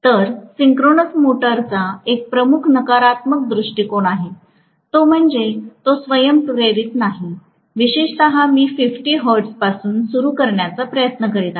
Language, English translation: Marathi, So, synchronous motor has one major negative point that is, it is not self starting, especially, I am trying to start with 50 hertz